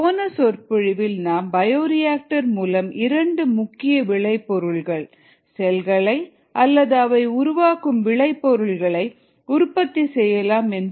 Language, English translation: Tamil, in the last lecture we saw that the two major products from a bioreactor could be the cells themselves, are the products that are produced by the cell